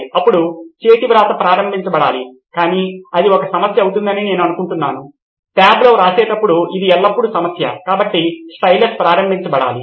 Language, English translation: Telugu, Then handwriting should be enabled but I think that will be a problem, it is always a problem while writing in tab, so a stylus should be enabled